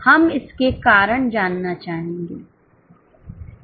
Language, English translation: Hindi, We would like to know its causes